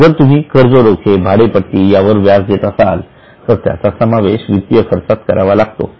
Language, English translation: Marathi, If you pay interest on your debentures, interest on lease, all these will be considered and included in finance costs